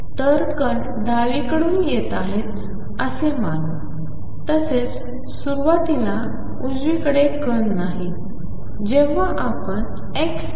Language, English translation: Marathi, So, from the expectation that particles are coming from left; so, initially they are no particles to the right